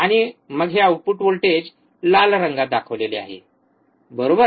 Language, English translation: Marathi, And then this output voltage is shown in red colour, right